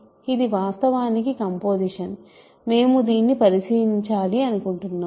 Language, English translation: Telugu, This is actually composition, we want to check this